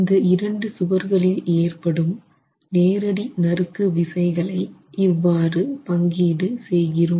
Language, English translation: Tamil, So, that's the direct shear force distributed between the two walls